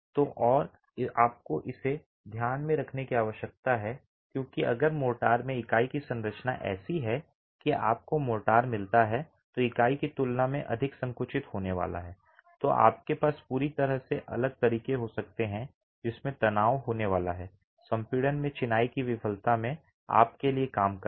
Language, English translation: Hindi, And you need to keep this in mind because if the composition of the unit and the motor is such that you get motor is going to be more compressible than the unit, you can have a completely different way in which the stresses are going to be working out for you in the failure of the masonry compression